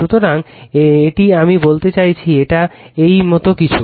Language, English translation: Bengali, So, a I mean it is your it is your something like this